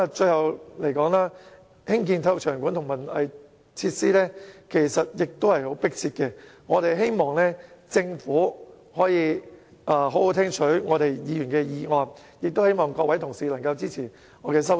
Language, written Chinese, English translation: Cantonese, 最後，興建體育場館和文化藝術設施是相當迫切的，我希望政府可以好好聽取議員的建議，也希望各位同事能夠支持我提出的修正案。, Finally building stadiums and arts venues is a rather urgent task . It is my hope that the Government can lean a listening ear to Members suggestions and that Members can support my amendment